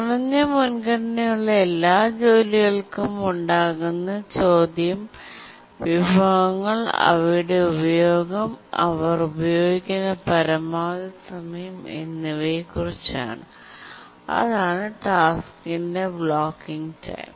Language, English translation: Malayalam, For all the lower priority tasks, what is the resources they use and what is the maximum time they use and that is the blocking time for the task I